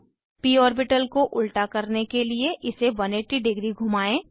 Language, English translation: Hindi, Rotate the p orbital to 180 degree to flip it upside down